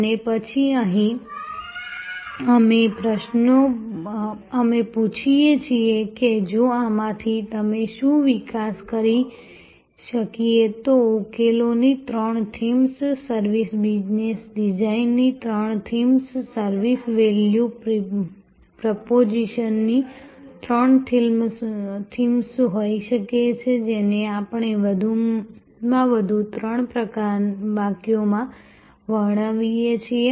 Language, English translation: Gujarati, And then here, we ask what if, from these, what ifs we can then develop may be three themes of solutions, three themes of service business design, three themes of service value proposition, which we can describe in maximum three sentences